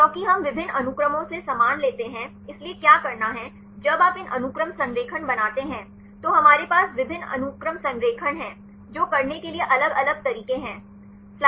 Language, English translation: Hindi, Because we take the same from different sequences, so what to do; when you make these sequence alignment, we have the multiple sequence alignment there are different ways to do